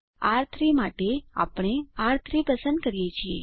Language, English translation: Gujarati, For R3 we choose R3